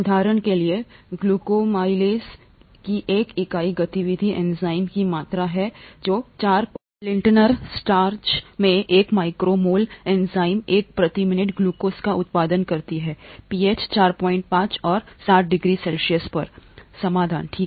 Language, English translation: Hindi, For example, one unit activity of glucoamylase is the amount of enzyme which produces 1 micro mol of enzyme, 1 micro mol of glucose per minute in a 4% Lintner starch solution at pH 4